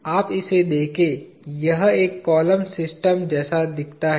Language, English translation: Hindi, You look at this, this looks like a column system